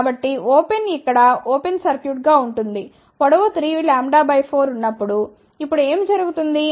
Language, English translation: Telugu, So, open becomes open over here, when the length is 3 lambda by 4 what happens now